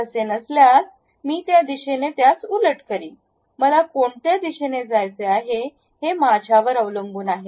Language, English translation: Marathi, If that is not the case I will reverse it in that direction it is up to me which direction I would like to go